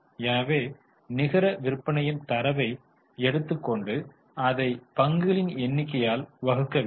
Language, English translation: Tamil, So we will take the data of net sales and let us divide it by number of shares